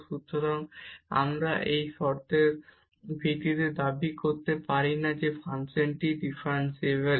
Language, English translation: Bengali, So, we cannot claim based on these two conditions that the function is differentiable